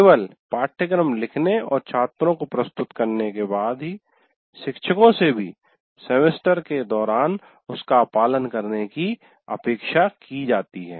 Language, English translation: Hindi, Only thing after writing the syllabus and presenting to the students during the semester, he is expected to follow that